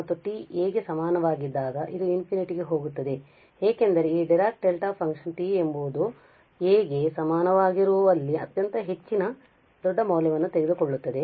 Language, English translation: Kannada, And when t is equal to a it is going to infinity because this Dirac Delta function takes very high large value where t is equal to a